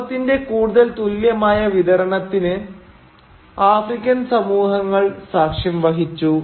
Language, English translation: Malayalam, African societies were witnessing a more equitable distribution of wealth